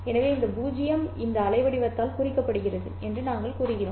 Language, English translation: Tamil, So, we say that this 0 is represented by this waveform